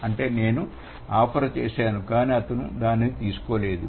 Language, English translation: Telugu, So, that means I did offer, but at the same time he didn't take that